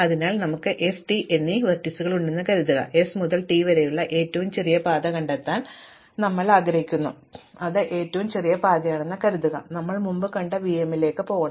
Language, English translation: Malayalam, So, suppose we have two vertices s and t, we want to find the shortest path from s to t and suppose that is the shortest path which goes via v 1 to v m we have seen before